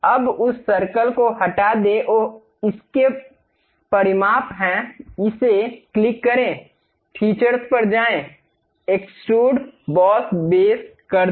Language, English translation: Hindi, Now, remove that circle oh its dimensions are there; click this, go to features, extrude boss base